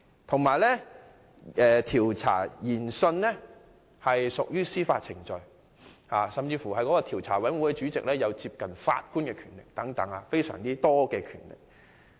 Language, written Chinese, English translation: Cantonese, 此外，這項調查研訊屬於司法程序，調查委員會主席甚至擁有接近法官的重大權力。, Moreover such inquiry will be a judicial proceeding and the Chairman of the Commission of Inquiry shall have the powers similar to those of a judge